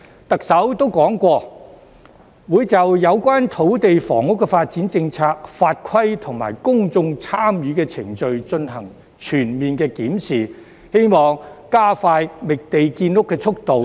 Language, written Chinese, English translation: Cantonese, 特首曾說過，會就有關土地房屋發展的政策、法規及公眾參與程序進行全面檢視，希望加快覓地建屋的速度。, The Chief Executive has said that she will conduct a comprehensive review of land and housing development policies regulations and public engagement procedures in the hope of speeding up the process of identifying sites for housing construction